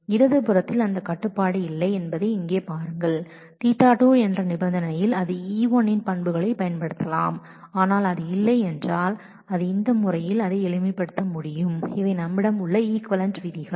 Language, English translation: Tamil, Look here that on the left hand side that restriction is not there on the condition theta 2 it could also use attributes of E1, but if it does not then it is possible to simplify it in this manner and these are the equivalent rules that we have